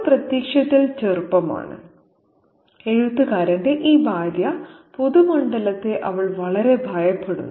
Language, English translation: Malayalam, She is also apparently young, this wife of the writer, and she is very terrified of the public sphere